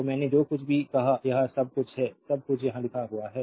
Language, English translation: Hindi, So, whatever I said everything, everything is everything is written here